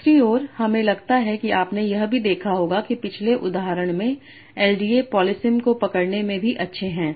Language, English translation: Hindi, Second, and I guess he would have also noticed that in the previous example, LDH are also good at capturing polysani